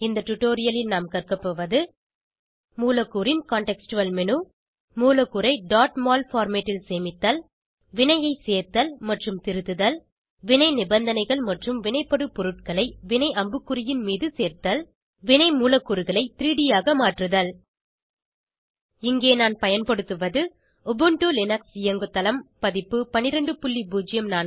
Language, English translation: Tamil, In this tutorial, we will learn about, * Molecular contextual menu * Save the molecule in .mol format * Add and edit a reaction * Add reaction conditions and reagents on the reaction arrow * Convert reaction molecules into 3D For this tutorial I am using Ubuntu Linux OS version 12.04